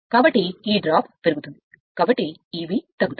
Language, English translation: Telugu, So, this drop will increase therefore, E b will decrease